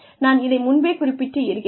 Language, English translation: Tamil, And, I have mentioned this earlier also